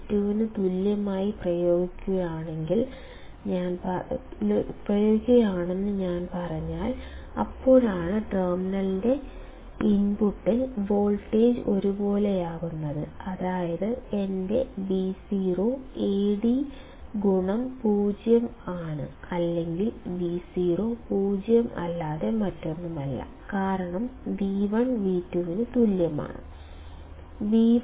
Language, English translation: Malayalam, If I say I am applying V1 equals to V2 ,that is why voltage is the same at the input of terminal, that implies, that my Vo is nothing but Ad into 0 or Vo is nothing but 0 because V1 is equal to V2; correct